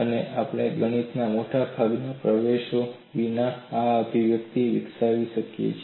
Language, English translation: Gujarati, And we have already developed this expression without getting into much of the mathematics